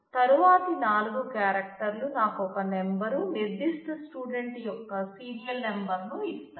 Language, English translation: Telugu, The next four characters gives me a number, the serial number of the particular student in the role